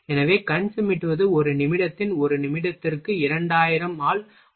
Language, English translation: Tamil, So, wink is 1 by 2000 minute of a minute of a one minute